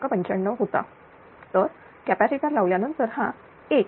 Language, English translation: Marathi, 95 right and suppose after placing capacitor you got 1